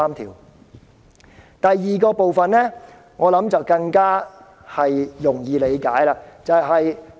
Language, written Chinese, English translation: Cantonese, 至於第二點，我想大家應更容易理解。, As regards the second point I think it should be even more readily comprehensible